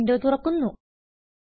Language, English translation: Malayalam, The Gmail window appears